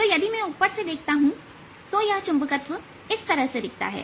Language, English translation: Hindi, so if i look at it from the top, this is how the magnetization looks